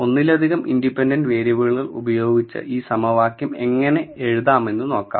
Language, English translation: Malayalam, Now let us see how to write this equation with multiple independent variables